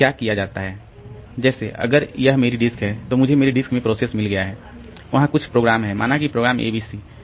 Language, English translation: Hindi, Like if this is my, if this is the disk, then in my, in the disk I have got the process some program is there, say program name is ABC